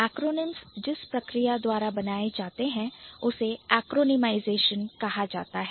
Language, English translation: Hindi, Acronyms are formed by a process called a cronymization